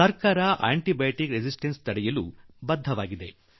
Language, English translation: Kannada, The government is committed to prevent antibiotic resistance